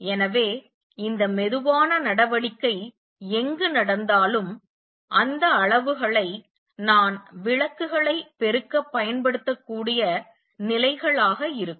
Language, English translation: Tamil, So, wherever this slow action taking place that is those are going to be the levels for which I can use to amplify the lights